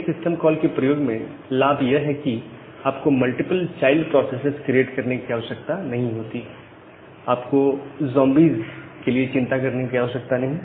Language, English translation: Hindi, The advantage with this select system call is that, you do not need to create multiple child processes, now no you do not need to worry about the zombies